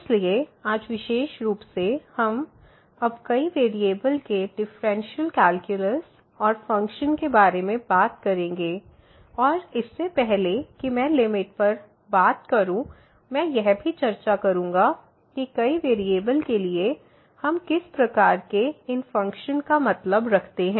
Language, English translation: Hindi, So, today in particular we are talking about now the Differential Calculus and Functions of Several Variables and before I introduce the limits, I will also discuss what type of these functions we mean for the several variables